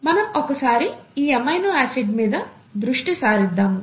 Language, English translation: Telugu, This is called an amino acid, right